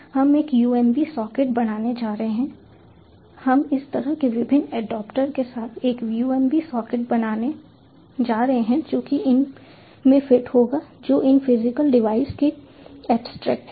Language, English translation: Hindi, we are going to create a umb socket with different adaptors like this, which will fit into these ones, which are the abstractions of these physical devices